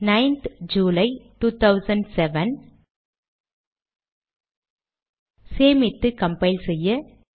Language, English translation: Tamil, 9th July 2007, Save, Compile